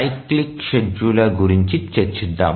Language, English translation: Telugu, So, let's look at the cyclic scheduler